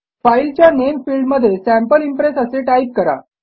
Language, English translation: Marathi, In the filename field type Sample Impress